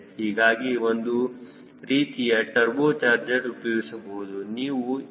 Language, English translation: Kannada, so you can use some sort of a turbo charger